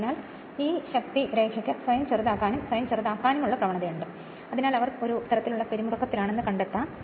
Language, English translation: Malayalam, So, this line of force have the property of tending to shorten themselves a shorten themselves right, so that they may be regarded as being in tension